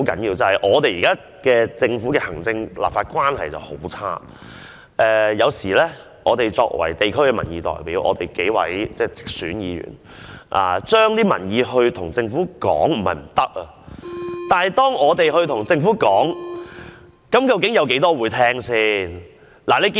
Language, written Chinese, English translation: Cantonese, 現時行政、立法關係惡劣，有時作為地區民意代表，當直選議員向政府反映民意時，即使並非不可行，但究竟有多少是政府聽得入耳的呢？, Given the poor relationship between the executive authorities and the legislature at present although Members returned by direct election will sometimes convey public views to the Government as elected district representatives I wonder if the Government will pay heed to all of these views which are not totally infeasible